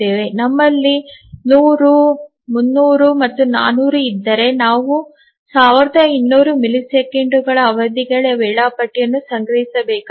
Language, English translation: Kannada, So, if we have 100, 300 and let's say 400, then we need to store the period the schedule for a period of 1,200 milliseconds